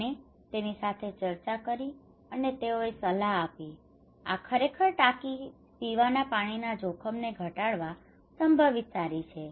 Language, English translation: Gujarati, And he called him discussed with him and they advised that okay yes this tank is really potentially good to reduce the drinking water risk at your place